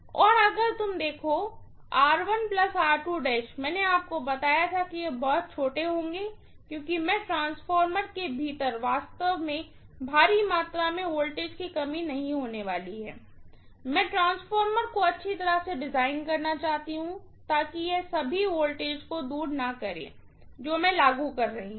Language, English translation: Hindi, And if you look at R1 plus R2 dash, I told you that they will be very very small because I am not going to really let a huge amount of voltage drop within the transformer, I want to design the transformer well so that it doesn’t eat away all the voltage that I am applying, right